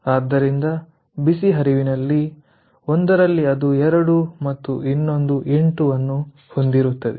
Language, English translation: Kannada, so for the two hot stream, one is two and another is eight